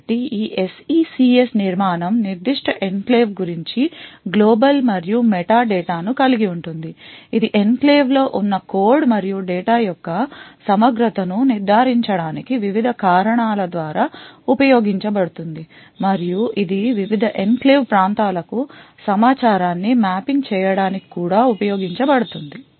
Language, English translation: Telugu, So this SECS structure contains global and meta data about that particular enclave, it is used by various reasons to such as to ensure the integrity of the code and data present in the enclave and it is also used for mapping information to the various enclave regions